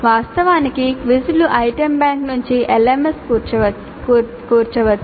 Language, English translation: Telugu, In fact the quiz itself can be composed from the item bank by an LMS